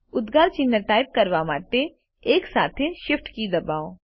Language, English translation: Gujarati, To type the exclamation mark, press the Shift key together with 1